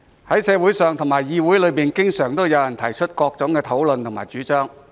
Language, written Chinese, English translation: Cantonese, 在社會上及議會內，經常有人提出各種討論和主張。, Be it in the community or the Legislative Council there are often people initiating various discussions and proposals